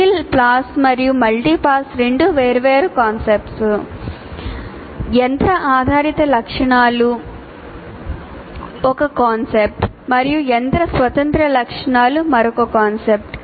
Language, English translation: Telugu, So, single pass, multipass, there are two different concepts and machine dependent features is one concept and machine independent features is another concept